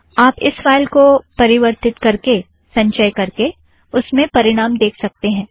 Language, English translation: Hindi, You may modify this file, compile and see the results